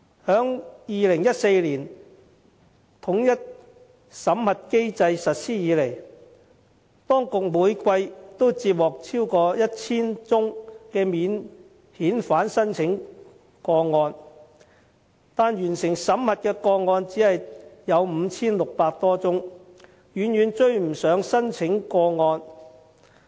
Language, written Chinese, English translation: Cantonese, 自2014年統一審核機制實施以來，當局每季都接獲超過 1,000 宗免遣返聲請個案，但完成審核的個案只有 5,600 多宗，遠遠追不上聲請個案。, Since the implementation of the unified screening mechanism in 2014 the authorities have received over 1 000 cases of non - refoulement claims every quarter . But the assessment of just about 5 600 cases has been completed . This number lags far behind the number of claims